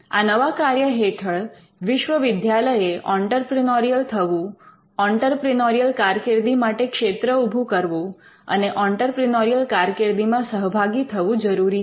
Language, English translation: Gujarati, The new function that a university has to be entrepreneurial, it has to setup a field for entrepreneurial activity and it can itself engage in entrepreneurial activity